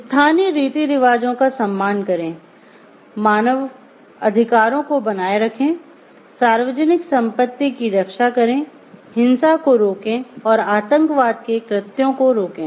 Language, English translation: Hindi, Respect the local customs, uphold the human rights, safeguard public property, abjure violence and acts of terrorism